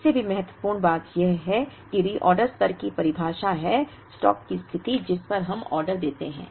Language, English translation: Hindi, More importantly the definition of reorder level is, the stock position at which we place the order